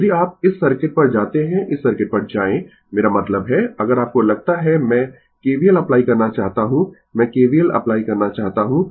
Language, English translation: Hindi, If you go to this circuit right, your go to this circuit, I mean if you your suppose I want to apply KVL right, I want to apply KVL